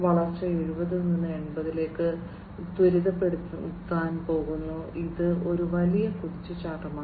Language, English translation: Malayalam, The growth is going to be accelerated from about 70 to 80, so it is a huge leap